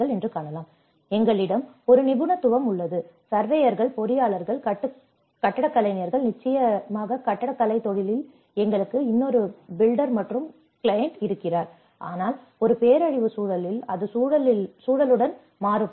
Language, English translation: Tamil, So, we have a set of expertise, the surveyors, the engineers, the architects, of course in the architectural profession, we have another one the builder and the client, but in a disaster context it varies with the context in the context